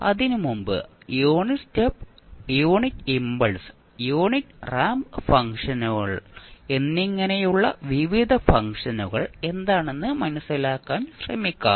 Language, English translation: Malayalam, Before that, let us try to understand what are the various functions which we just mentioned here like unit step, unit impulse and unit ramp functions